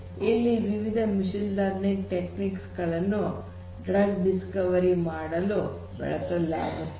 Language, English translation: Kannada, So, that is where they use different machine learning techniques for drug discovery